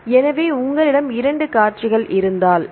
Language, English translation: Tamil, So, if you have two sequences I will write it clear